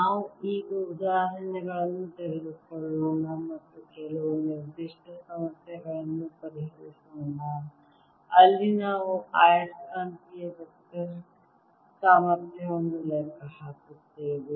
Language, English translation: Kannada, let us now take examples and solve some certain problems where we calculate the magnetic electro potential